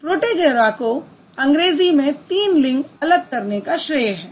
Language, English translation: Hindi, Protagoras was credited with the distinction of three genders in English